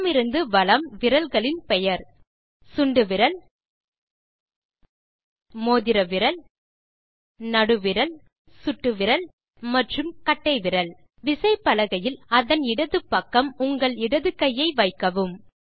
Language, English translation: Tamil, Fingers, from left to right, are named: Little finger, Ring finger, Middle finger, Index finger and Thumb On your keyboard, place your left hand, on the left side of the keyboard